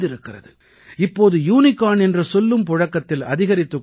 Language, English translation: Tamil, These days the word 'Unicorn' is in vogue